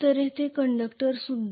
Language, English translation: Marathi, So conductors here as well